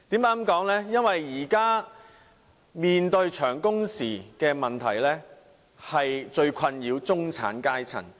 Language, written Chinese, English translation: Cantonese, 現時市民所面對的長工時問題，正是最困擾中產階層的問題。, The most troubling issue to the middle class is precisely the current problem of long working hours facing the general public